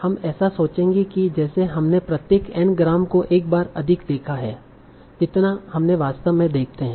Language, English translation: Hindi, We'll pretend as if we have seen each angram one more time than we actually did